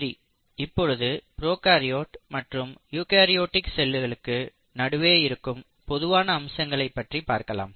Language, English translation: Tamil, So let us go back and look at what are the similarity between prokaryotic and the eukaryotic cells